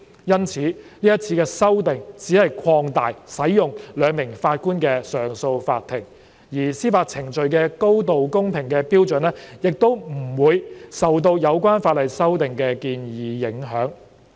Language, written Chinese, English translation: Cantonese, 因此，這次修訂只是擴大使用由兩名法官組成的上訴法庭，而司法程序的高度公平的標準亦不會受到有關法例修訂的建議影響。, Therefore the high standard of fairness of a judicial proceeding should not be affected by the proposed legislative amendments which only seek to extend the use of a 2 - Judge CA